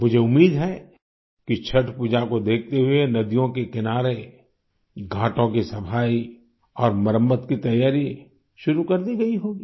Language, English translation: Hindi, I hope that keeping the Chatth Pooja in mind, preparations for cleaning and repairing riverbanks and Ghats would have commenced